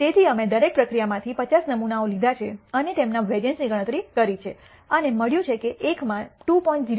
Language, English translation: Gujarati, So, we have taken 50 samples from each process and computed their variances and found that one has a variability of 2